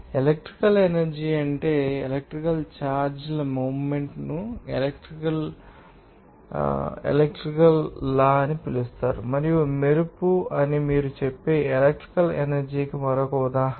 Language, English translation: Telugu, Electrical energy is the movement of electrical charges moving to a wire that is called electricity and lightning is another example of electrical energy you can say